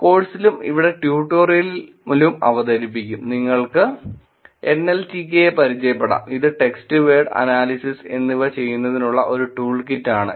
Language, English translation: Malayalam, In the course also we will get here introduce in the tutorial, we will get you introduced to NLTK, which is a tool kit for doing some of these text, word analysis also